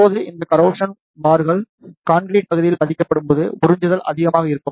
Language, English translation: Tamil, Now, when these steel bars are embedded in the concrete region then the absorption is more